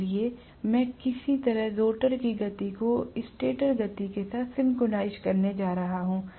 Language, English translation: Hindi, So, I am going to have to somehow synchronise the rotor speed with that of the stator speed